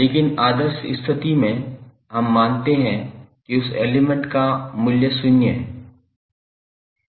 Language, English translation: Hindi, But under ideal condition we assume that the value of that element is zero